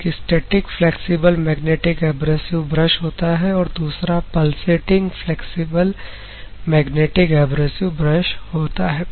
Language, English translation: Hindi, One is static flexible magnetic abrasive brush; another one is pulsating flexible magnetic abrasive brush